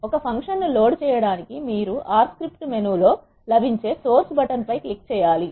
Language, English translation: Telugu, To load a function you need to click on the source button that is available in the R script menu